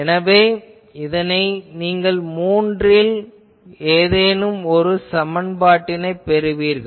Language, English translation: Tamil, So, you will get either of those 3 expressions